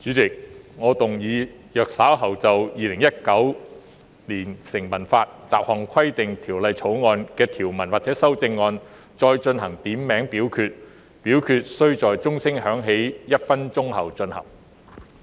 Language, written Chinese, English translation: Cantonese, 主席，我動議若稍後就《2019年成文法條例草案》的條文或其修正案進行點名表決，表決須在鐘聲響起1分鐘後進行。, Chairman I move that in the event of further divisions being claimed in respect of any provisions of or any amendments to the Statute Law Bill 2019 this committee of the whole Council do proceed to each of such divisions immediately after the division bell has been rung for one minute